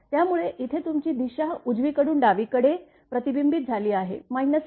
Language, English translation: Marathi, So, here, your direction is from reflected one from right to left this side is minus v f